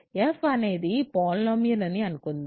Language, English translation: Telugu, Let us say f is a polynomial